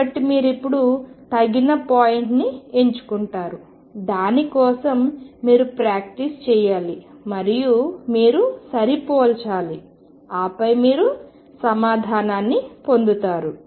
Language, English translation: Telugu, So, you choose a suitable point now for that you have to practice and you then match and then you get your answer